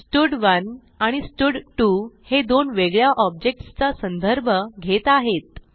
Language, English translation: Marathi, Here both stud1 and stud2 are referring to two different objects